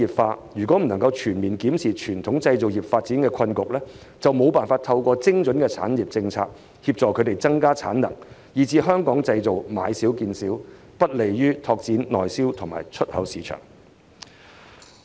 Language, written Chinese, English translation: Cantonese, 政府如未能全面檢視傳統製造業發展的困局，就無法透過精準的產業政策協助業界提升產能，最終導致"香港製造"買少見少，不利於拓展內銷和出口市場。, If the Government fails to fully grasp the predicament faced by the traditional manufacturing industry in development it will not be able to assist the industry in upgrading its production capacity through targeted industrial policies . Eventually Made in Hong Kong products will become fewer in number which is not conducive to exploring domestic and export markets